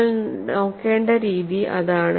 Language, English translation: Malayalam, That is the way we have to look at it